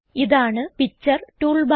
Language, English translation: Malayalam, This is the Picture toolbar